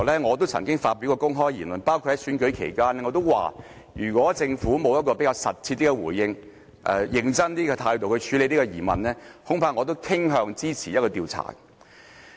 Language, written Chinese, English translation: Cantonese, 我曾經發表公開言論，包括在選舉期間，我說如果政府沒有切實的回應和較認真的態度處理這疑問，恐怕我也傾向支持展開調查。, I said publicly earlier on also during the election campaign that if the Government did not give a concrete response and deal with this query in a more sincere manner I might also tend to support commencing an investigation